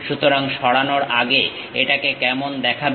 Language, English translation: Bengali, So, before removal, how it looks like